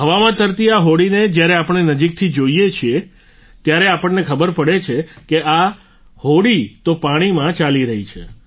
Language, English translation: Gujarati, When we look closely at this boat floating in the air, we come to know that it is moving on the river water